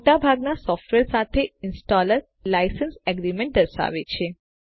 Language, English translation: Gujarati, As with most softwares, the installer shows a License Agreement